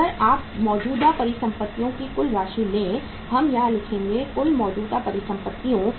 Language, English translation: Hindi, If you take the total amount of the current assets now, we write here total current assets